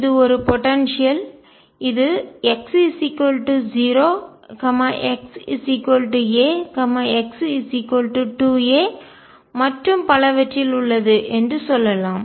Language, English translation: Tamil, This is a potential, let us say this is at x equals 0 x equals a x equals 2 a and so on